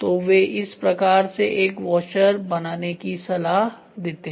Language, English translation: Hindi, So, now, what they suggest is please make a washer like this